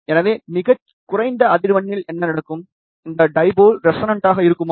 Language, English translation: Tamil, So, what will happen at the lowest frequency, this dipole will be resonant